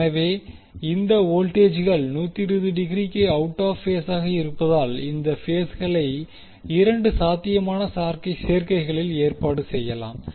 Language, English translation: Tamil, So, now, since the voltages are 120 degree out of phase, there are 2 possible combinations for the arrangement of these phases